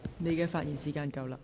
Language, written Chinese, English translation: Cantonese, 你的發言時限到了。, Your speaking time is up